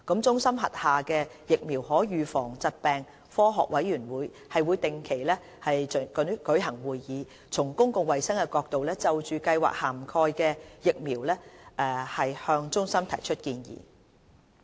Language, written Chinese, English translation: Cantonese, 中心轄下的疫苗可預防疾病科學委員會定期舉行會議，從公共衞生的角度，就計劃涵蓋的疫苗向中心提出建議。, The Scientific Committee on Vaccine Preventable Diseases under CHP holds regular meetings and makes recommendations to CHP regarding the types of vaccines to be incorporated into HKCIP from the public health perspective